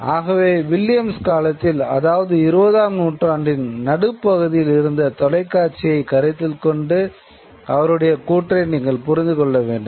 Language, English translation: Tamil, So, you have to understand Williams' points according to the television of his times, which is the mid 20th century television